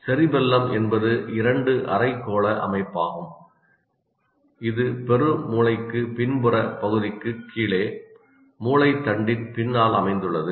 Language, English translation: Tamil, His two hemisphere structure located just below the rear part of the cerebrum right behind the brain stem